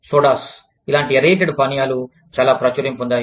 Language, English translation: Telugu, Sodas, any kind of aerated drinks, are very popular